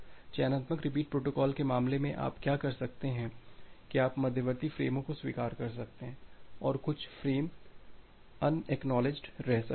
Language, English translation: Hindi, In case of selective repeat protocol what you can do that you can acknowledge intermediate frames and some frames may remain unacknowledged